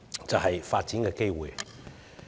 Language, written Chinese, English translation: Cantonese, 就是發展機會。, They need opportunities for development